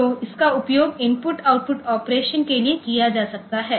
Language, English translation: Hindi, So, that can be used for input output operation